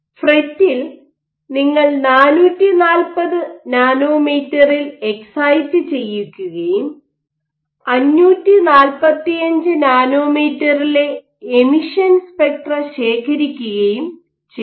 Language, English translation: Malayalam, In FRET what you do you excite at 440 nanometers and you collect the emission spectra of 545 nanometers